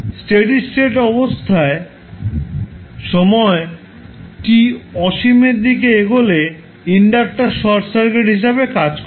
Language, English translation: Bengali, At steady state condition say time t tends to infinity what will happen that the inductor will act as a short circuit